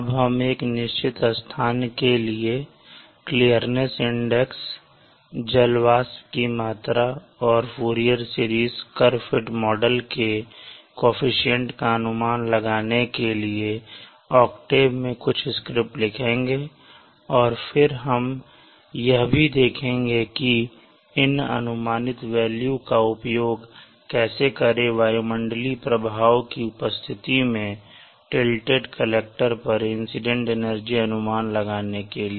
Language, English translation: Hindi, We shall now write some scripts in octave to estimate the clearness index for a given place and also to estimate the coefficients of the Fourier series curve rate model for clear mass index and also the water vapor content then we shall also see how we use the estimated value of the clearness index in order to estimate the energy incident on a tilted slightly collector in the presence of atmosphere atmospheric effects